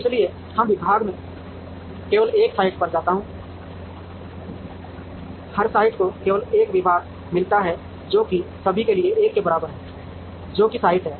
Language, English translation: Hindi, So, every department i goes to only one site, every site gets only one department X i k summed over i equal to 1 for all k, k is the site